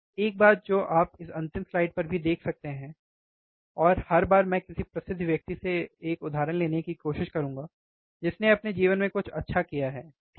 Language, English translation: Hindi, One thing that you can see on this last slide also and every time I will try to bring one quote from some famous guy who has done something good in his life, right